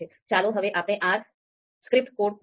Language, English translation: Gujarati, So now let’s come back to our R script code